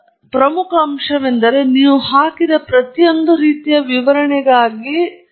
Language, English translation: Kannada, And then, the other important aspect is for every type of illustration that you put up, you have to pay attention to details